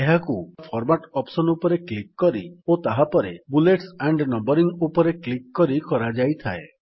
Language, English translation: Odia, This is accessed by first clicking on the Format option in the menu bar and then clicking on Bullets and Numbering